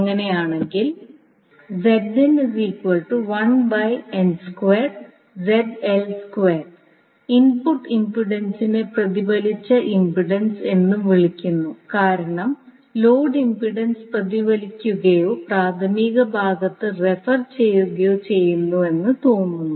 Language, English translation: Malayalam, So, basically the input impedance is also called the reflected impedance, because it appears as if load impedance is reflected or referred to the primary side